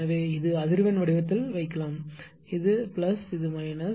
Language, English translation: Tamil, So, it can put it in frequency form this is plus this is minus